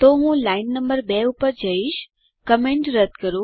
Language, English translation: Gujarati, So I will go to line number 2, remove the comment